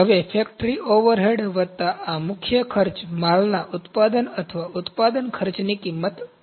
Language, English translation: Gujarati, Now, factory overhead plus this prime cost makes the cost of the goods manufacture or manufacturing cost